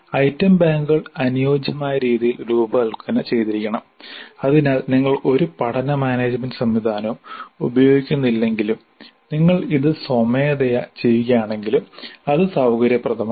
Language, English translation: Malayalam, The item banks should be suitably designed so that even if you are not using any learning management system if you are using it manually also it is convenient